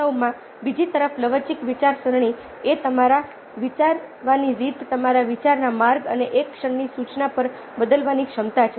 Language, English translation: Gujarati, flexible thinking, on the other hand, is the ability to change your way of thinking, the route of your thinking, at a moments notice